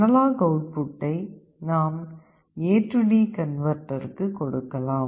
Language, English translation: Tamil, The analog output you can feed to your A/D converter